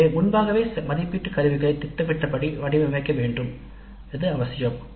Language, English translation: Tamil, So it is necessary to design the assessment instruments also upfront based on the assessment plan